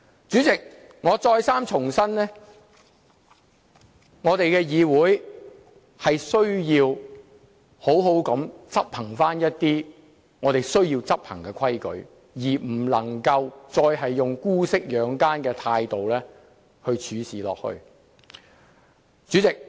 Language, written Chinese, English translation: Cantonese, 主席，我再三重申，我們的議會需要妥善地執行我們需要執行的規矩，不能夠再以姑息養奸的態度處事。, President let me reiterate again that it is necessary for this Council of ours to properly enforce the rules that we need to enforce and that we should no longer adopt a lenient approach that connives at the wicked running rampant